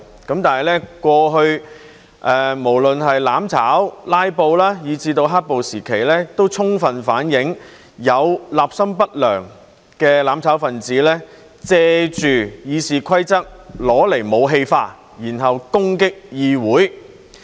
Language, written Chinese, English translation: Cantonese, 但是，過去無論是"攬炒"、"拉布"，以至"黑暴"時期，都充分反映有立心不良的"攬炒分子"借《議事規則》用來武器化，然後攻擊議會。, However in the past when there were mutual destruction filibusters and black - clad violence it was clear that ill - intentioned Members of the mutual destruction camp weaponized RoP to attack the Council